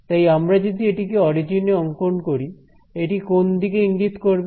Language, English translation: Bengali, So, if I plot this on the origin it will always be pointing in which direction